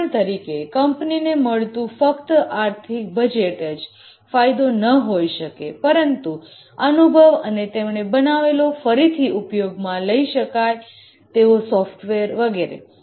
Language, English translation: Gujarati, For example, the benefit may not only be the financial budget that it provides the company gets, but also the experience it builds up the reusable software that it makes and so on